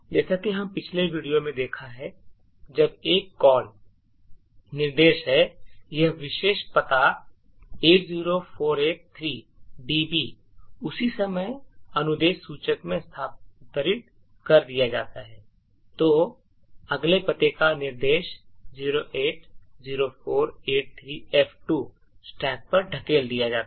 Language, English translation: Hindi, So as we have seen in the previous video when there is a call instruction what is done is that this particular address 80483db is moved into the instruction pointer at the same time the instruction of the next address that is 080483f2 gets pushed on to the stack